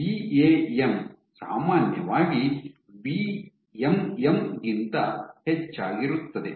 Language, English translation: Kannada, So, VAM is typically much greater than VMM